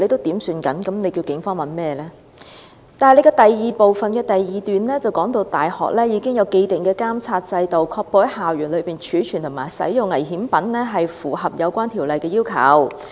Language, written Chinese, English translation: Cantonese, 然而，局長又在主體答覆第二部分的第二段指出，"大學已經有既定的監察制度，確保在校園內貯存和使用危險品均符合有關條例的要求。, However the Secretary further pointed out in part 2 of the main reply that universities have established a monitoring mechanism to ensure that the storage and use of dangerous goods on campus meet the requirements of the relevant ordinance